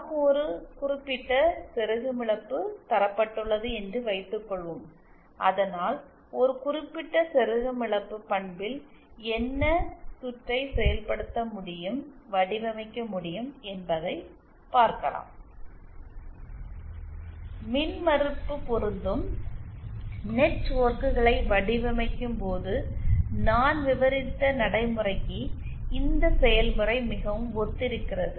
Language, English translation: Tamil, Suppose we are given a certain insertion loss, what circuit can be realised, can be designed so that a particular insertion loss characteristic isÉ The procedure is very similar to the procedure that I had described while designing impedance matching networks